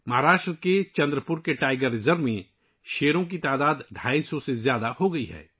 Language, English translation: Urdu, The number of tigers in the Tiger Reserve of Chandrapur, Maharashtra has risen to more than 250